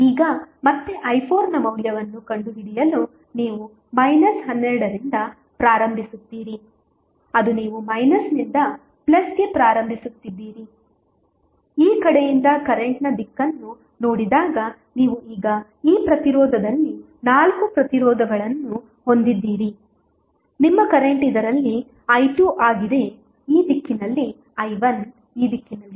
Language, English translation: Kannada, Now, again to find out the value of i 4 you will start with minus 12 that is you are starting from minus to plus when the direction of current is seen from this side then you have now four resistances in this resistance your current is i 2 in this direction, i 1 is in this direction